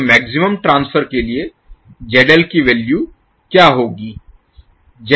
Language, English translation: Hindi, So, what will be the value of ZL maximum transfer